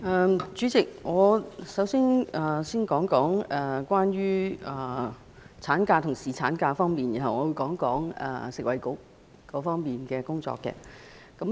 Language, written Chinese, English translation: Cantonese, 代理主席，我先說說關於產假和侍產假方面的事宜，然後會就食物及衞生局的工作發言。, Deputy President let me first talk about maternity leave and paternity leave and then touch on the work of the Food and Health Bureau